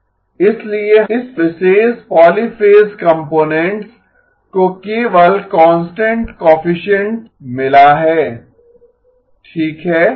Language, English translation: Hindi, So this particular polyphase component has got only constant coefficient okay